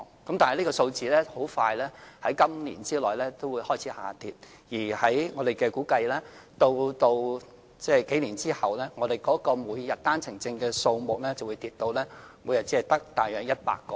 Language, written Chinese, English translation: Cantonese, 然而，這個數字在今年內很快會開始下跌，而據我們估計，數年後每天持單程證來港的人數會下跌至大約100名。, However the figure will start to drop very soon this year . According to our estimate the number of persons entering Hong Kong on OWPs will drop to approximately 100 daily a few years later